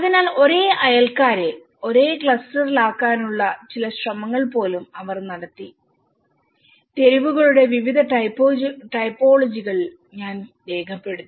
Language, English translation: Malayalam, So, they tried to even make some efforts of put the same neighbours in the same cluster and I have documented the various typologies of streets